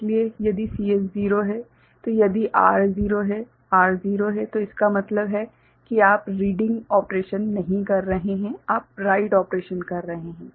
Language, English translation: Hindi, So, if CS is 0 ok, then if R is 0 ok, R is 0 means you are not doing the reading operation you are doing the write operation